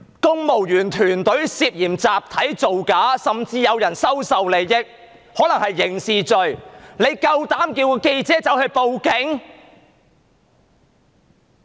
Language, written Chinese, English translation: Cantonese, 公務員團隊涉嫌集體造假，甚至有人收受利益，可能涉及刑事行為，你們卻請記者報警。, A number of civil servants are now suspected of falsifying records in a collective manner and the case may even involve the criminal act of acceptance of advantages but you just asked reporters to report the case to the Police